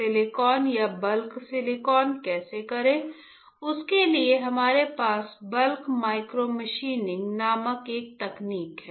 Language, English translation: Hindi, How do h silicon or bulk of silicon for that we have a technique called bulk micro machining, alright